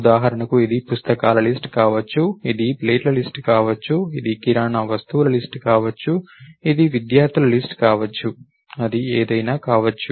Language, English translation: Telugu, For example, is it a list of box, is it a list of plates, is it a list of grocery items, is it a list of students, it may be anything for that matter